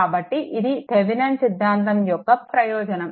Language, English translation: Telugu, So, that is the advantage of Thevenin’s theorem